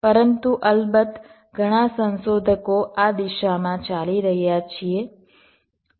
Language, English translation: Gujarati, but of course many research us are walking in this direction